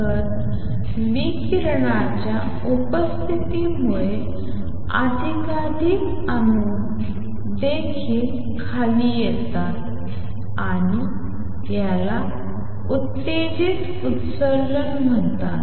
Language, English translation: Marathi, So, presence of radiation makes more and more atoms also come down and this is known as stimulated emission